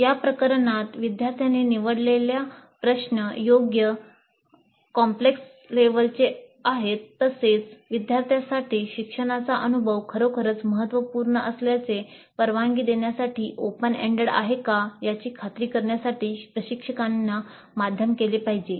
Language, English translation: Marathi, Because in this case, instructor has to moderate to ensure that the problem selected by the students is of right complexity level as well as open and read enough to permit the learning experience to be really significant for the students